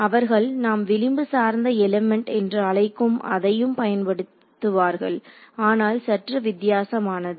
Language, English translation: Tamil, They also use what you call edge based elements, there edge based elements are slightly different